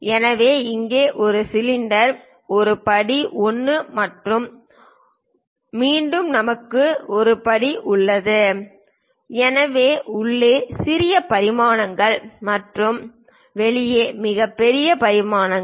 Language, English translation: Tamil, So, here it is one cylinder, a step 1 and again we have a step 1; So, smallest dimensions inside and largest dimensions outside